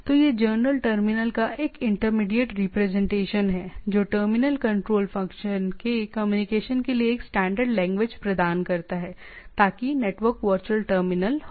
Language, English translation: Hindi, So, it is a intermediate representation of generic terminal, provide a standard language for communication of terminal control function, so that is a network virtual terminal